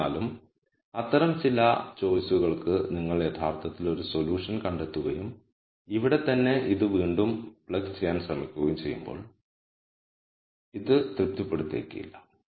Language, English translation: Malayalam, However, for some of those choices when you actually find a solution and try to plug this back into this right here it might not satisfy this